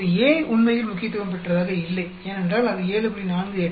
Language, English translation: Tamil, Now A is not really significant, because it is 7